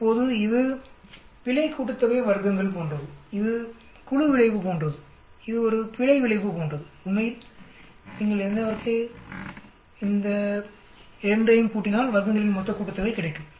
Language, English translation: Tamil, Now this is like an error sum of squares and this is like the group effect, where as this is like an error effect, actually if you add up these 2 you will get the total sum of squares